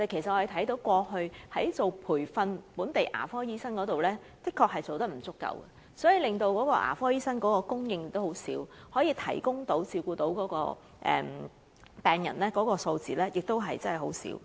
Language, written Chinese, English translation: Cantonese, 政府過去在培訓本地牙科醫生方面確實做得不足，所以令牙科醫生供應量偏低，向病人提供的服務和照顧亦不足。, The Government has indeed not been doing enough in training local dentists and there is hence a low supply of dentists which has in turn led to inadequate services and care for patients